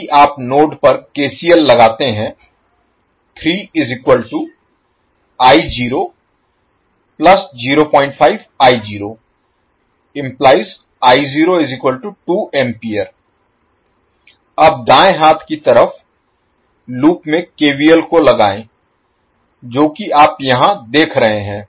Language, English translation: Hindi, Now, let us apply the KVL to the loop on the right hand side that is the loop which you see here